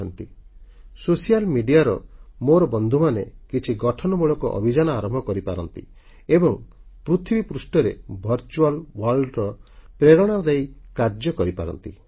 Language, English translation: Odia, My friends from the social media can run a few creative campaigns and thus become a source of inspiration in the virtual world, to see results in the real world